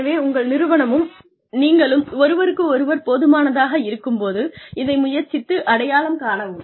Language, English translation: Tamil, So, try and recognize, when your organization and you have, had enough of each other